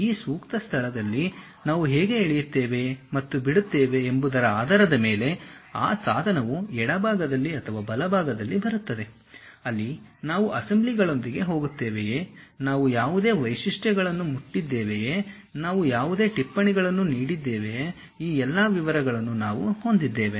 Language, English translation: Kannada, That tool also comes either on the left side or right side based on how we are dragging and dropping at this suitable location, where you will see some of the things like whether we are going with assemblies, whether we have touched any features, whether we have given any annotation, all these details we will be having it